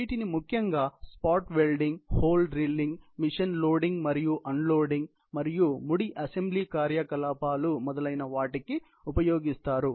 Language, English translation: Telugu, Common applications of these include insertion spot welding, hole drilling machine, loading and unloading and crude assembly operations, etc